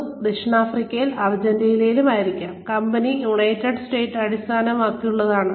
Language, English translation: Malayalam, And, may be, some may be South Africa and Argentina, and the company is based in the United States